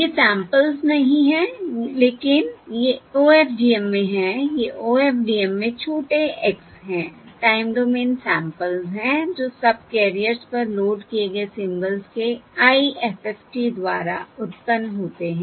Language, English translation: Hindi, these are the small x in OFDM are the time domain samples, which are generated by the IFFT of the symbols loaded onto the subcarriers